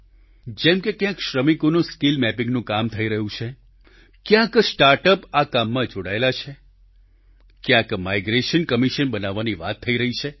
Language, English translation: Gujarati, For example, at places skill mapping of labourers is being carried out; at other places start ups are engaged in doing the same…the establishment of a migration commission is being deliberated upon